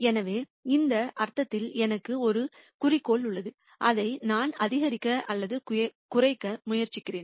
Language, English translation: Tamil, So, in that sense I have an objective which I am trying to maximize or minimize